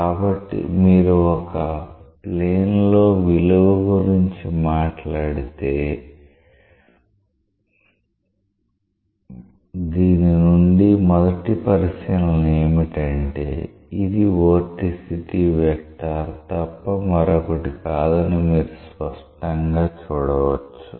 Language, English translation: Telugu, So, you can clearly see that if you talk about the value in a plane, it is possible to make out from this that first observation is this is nothing but the vorticity vector